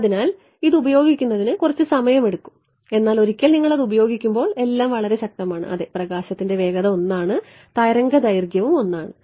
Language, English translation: Malayalam, So, it takes a little getting used, but once you get to used it is very powerful everything is normal yeah speed of light is 1 wave length is 1